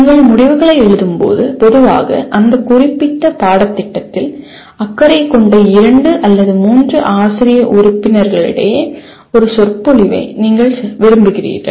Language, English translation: Tamil, And when you write outcomes, generally you want a discourse between the two or three faculty members who are concerned with that particular course